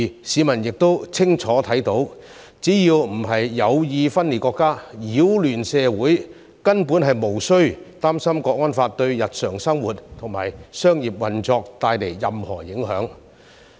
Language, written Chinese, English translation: Cantonese, 市民亦清楚看到，只要不是有意分裂國家、擾亂社會，根本無須擔心《香港國安法》會對日常生活和商業運作帶來任何影響。, It is also clear to the public that as long as they do not have any intention of secession or disrupting society there is basically no need to worry about the impact of the Hong Kong National Security Law on their daily lives and business operations